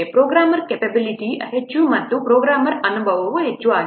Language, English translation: Kannada, Programmer capability is high and programmer experience is also high